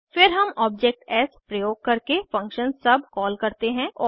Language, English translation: Hindi, Then we call the function sub using the object s